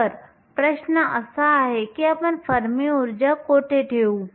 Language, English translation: Marathi, So, the question is where do we put the fermi energy